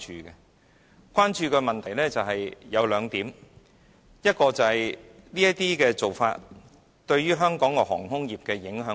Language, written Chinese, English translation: Cantonese, 我們關注的問題有兩項，第一，這些做法對香港的航空業會有甚麼影響？, All these happenings have aroused our concern . We have two concerns . First what will be the impact of this initiative on Hong Kongs aviation industry?